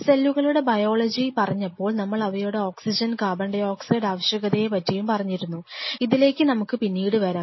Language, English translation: Malayalam, Now, while talking about the biology of the cells we talked about the oxygen tension, oxygen and carbon dioxide very briefly of course, we will come back to this thing